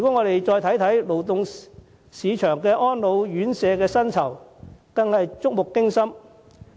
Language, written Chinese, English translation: Cantonese, 勞動市場安老院舍的薪酬，更令人觸目驚心。, The wages of carers working in private elderly homes are even more shocking